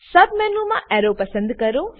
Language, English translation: Gujarati, In the submenu, select Arrow